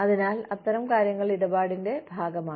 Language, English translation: Malayalam, So, stuff like that, is part of the deal